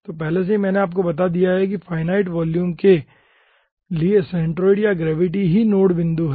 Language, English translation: Hindi, okay, so already i have told you finite volume, ah, the centroid ah or center gravity is the nodee point